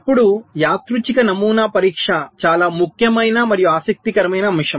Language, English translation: Telugu, ok, random pattern testing is a very, very important and interesting concept